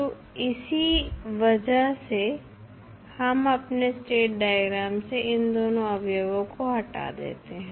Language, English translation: Hindi, So, that is why we remove these two components from our state diagram